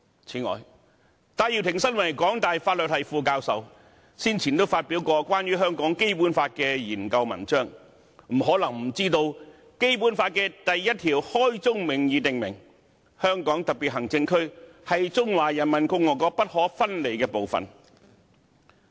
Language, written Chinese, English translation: Cantonese, 此外，戴耀廷身為港大法律系副教授，先前也曾發表關於香港《基本法》的研究文章，他不可能不知道《基本法》第一條開宗明義訂明，"香港特別行政區是中華人民共和國不可分離的部分"。, Moreover as Associate Professor of the Faculty of Law HKU Benny TAI has previously published research papers on the Basic Law of Hong Kong . It is impossible that he has no knowledge of Article 1 of the Basic Law which states clearly and upfront that The Hong Kong Special Administrative Region is an inalienable part of the Peoples Republic of China